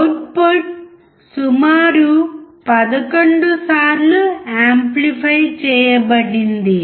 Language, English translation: Telugu, The output has been amplified about 11 times